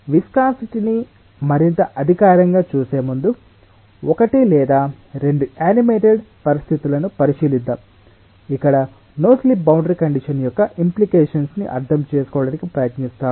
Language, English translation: Telugu, before we more formally look in to the viscosity, let us look in to one or two animated situations where we try to understand the implication of the no slip boundary condition